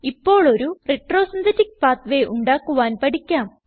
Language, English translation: Malayalam, Now, lets learn to create a retro synthetic pathway